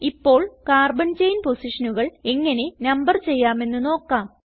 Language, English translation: Malayalam, Now I will demonstrate how to number the carbon chain positions